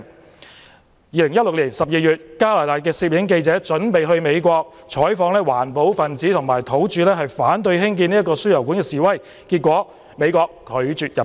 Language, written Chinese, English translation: Cantonese, 在2016年12月，加拿大攝影記者準備前往美國，採訪環保分子和土著反對興建輸油管示威事件，被美國拒絕入境。, In December 2016 a Canadian press photographer who prepared to travel to the United States to cover protests by environmentalists and Native Americans against the installation of an oil pipeline was denied entry by the United States